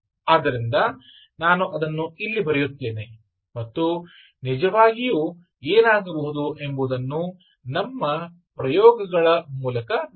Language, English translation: Kannada, so let me put down that and actually see our experiments